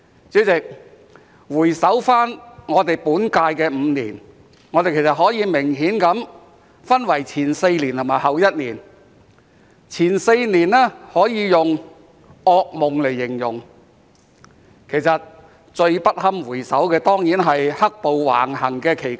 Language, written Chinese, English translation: Cantonese, 主席，回首本屆立法會5年，我們其實可以明顯地分為前4年和後1年，前4年可以用"噩夢"來形容，而最不堪回首的當然是在"黑暴"橫行期間。, President looking back on the five years of the current Legislative Council we can in fact obviously divide them into the first four years and the last one year . The first four years can be described as a nightmare and the most unpleasant period to look back on was certainly the period when the black - clad violence was rampant